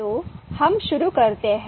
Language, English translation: Hindi, So let us start